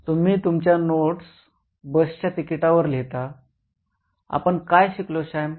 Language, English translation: Marathi, Did you write your notes in a bus ticket, what did we learn Sam